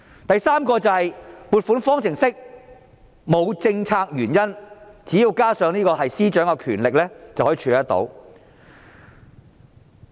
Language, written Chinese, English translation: Cantonese, 第三，撥款方程式沒有政策原因，只要加上司長的權力，便可以處理得到。, Third funding formulas devoid of any policy intentions can be put in place as long as the Financial Secretary exercises his power